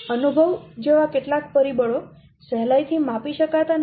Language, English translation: Gujarati, Some factors such as experience cannot be easily quantified